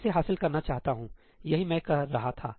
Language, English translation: Hindi, I want to achieve this that is what I was saying